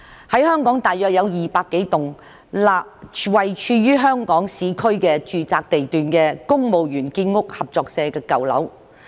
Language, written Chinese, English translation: Cantonese, 香港大約有200多棟位處香港市區住宅地段的公務員建屋合作社的舊樓。, There are currently about 200 - odd old buildings in the urban area of Hong Kong that are under the Civil Servants Cooperative Building Society